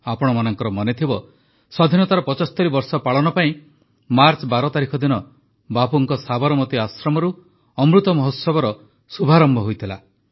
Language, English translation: Odia, You may remember, to commemorate 75 years of Freedom, Amrit Mahotsav had commenced on the 12th of March from Bapu's Sabarmati Ashram